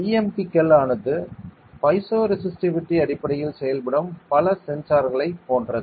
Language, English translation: Tamil, So, BMPs like many other sensors that are working based on piezoresistivity